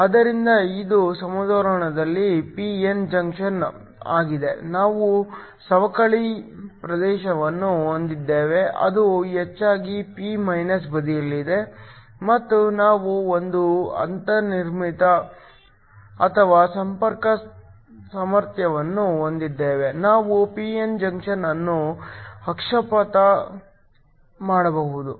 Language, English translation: Kannada, So, This is the p n junction in equilibrium, we have a depletion region that mostly lies in the p side and we also have a built in or a contact potential we can forward bias the p n junction